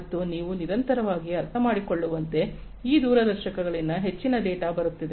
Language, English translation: Kannada, And so as you can understand continuously in the, so much of data are coming from these telescopes